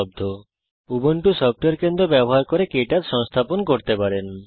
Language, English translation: Bengali, You can install KTouch using the Ubuntu Software Centre